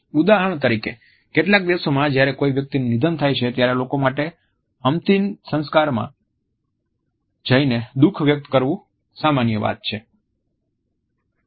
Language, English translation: Gujarati, For example, in some countries when a person passes away it is common for individuals to attend a funeral and show grief